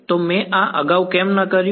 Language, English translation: Gujarati, So, why did not I do this earlier